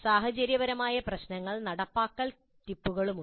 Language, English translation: Malayalam, There are situational issues and implementation tips